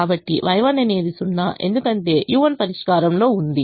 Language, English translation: Telugu, so y one is zero because u one is in the solution